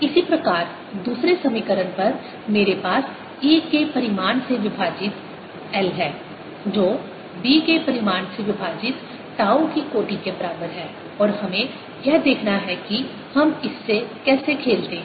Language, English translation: Hindi, similarly, on the other equation, i have magnitude of e divided by l, of the order of magnitude of b divided by tau, and let's see how we play out of this